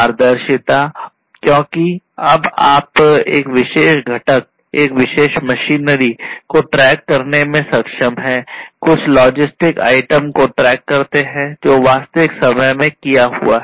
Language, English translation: Hindi, Transparency because now you are able to track a particular component, a particular machinery, a you know, track some you know logistic item you can do all of these things in real time